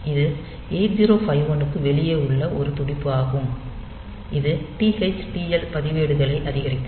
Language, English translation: Tamil, So, it is a pulse outside the 8051 that will increment the TH TL registers